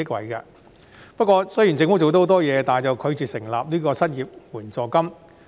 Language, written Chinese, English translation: Cantonese, 雖然政府已經做了很多工作，但拒絕設立失業援助金。, Despite the Governments strenuous efforts it has refused to establish an unemployment assistance